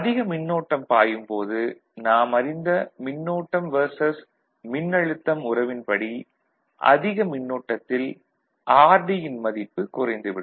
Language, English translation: Tamil, Of course, the more current flows, we know the current versus voltage curve, by which at higher current, the rd value will come down